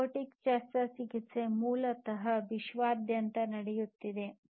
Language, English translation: Kannada, Robotic surgery is basically something that is happening worldwide